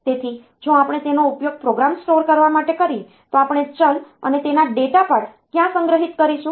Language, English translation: Gujarati, So, if we use that for storing the program then where are we going to store the variable and the data part of it